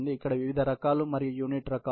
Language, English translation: Telugu, These are all different kinds and types of unit